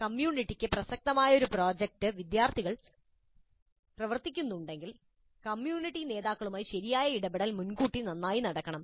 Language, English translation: Malayalam, If the student teams are working on a project that is relevant to the community, then proper engagement with the community leaders must happen well in advance